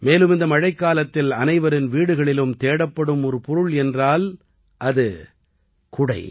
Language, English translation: Tamil, And during this rainy season, the thing that has started being searched for in every home is the ‘umbrella’